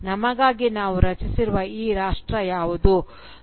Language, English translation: Kannada, What is this nation that we have created for ourselves